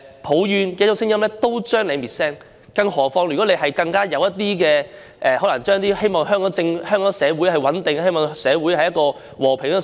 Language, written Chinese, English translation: Cantonese, 抱怨的聲音都會被滅聲，更遑論那些表示自己希望香港社會穩定和平的聲音。, Voices of complaints can be silenced not to mention the voices expressing the hope for social stability and peace in Hong Kong